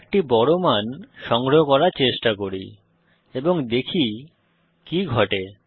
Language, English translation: Bengali, Let us try to store a large value and see what happens